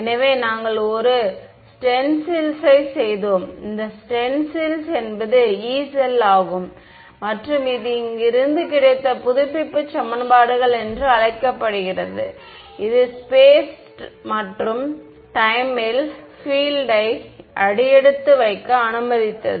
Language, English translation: Tamil, So, we made a stencil right, this stencil was the Yee cell right and from here we got the so, called update equations which allowed us to step the fields in space and time